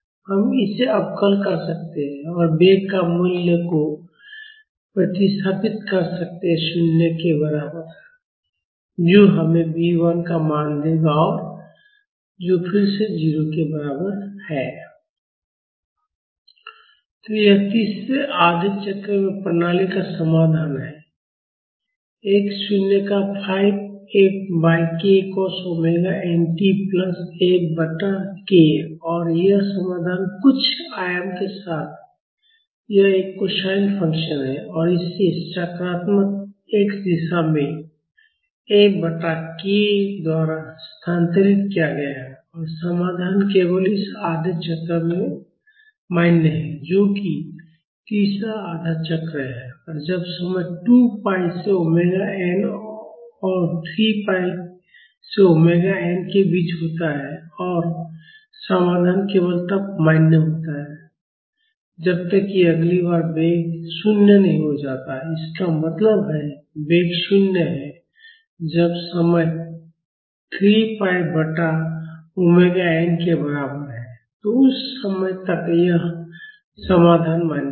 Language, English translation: Hindi, So, this is the solution of the system in the third half cycle, x naught minus 5 F by k cos omega n t plus F by k and this solution this a cosine function with some amplitude and this shifted in the positive x direction by F by k; and the solution is valid only in this half cycle, that is the third half cycle when time is between 2 pi by omega n and 3 pi by omega n and the solution is valid only till the velocity becomes 0 next time; that means, the velocity is 0 when the time is equal to 3 pi by omega n, so until that time, this solution is valid